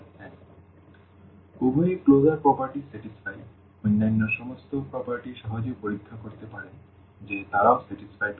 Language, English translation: Bengali, So, the both the closure properties are satisfied, all other properties one can easily check that they are also satisfied